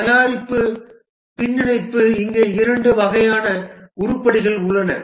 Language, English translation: Tamil, The product backlog, there are two types of items here